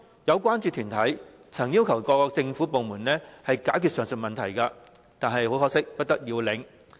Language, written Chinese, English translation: Cantonese, 有關注團體曾要求各政府部門解決上述問題，但不得要領。, Some concern groups have requested various government departments to address the aforesaid issue but to no avail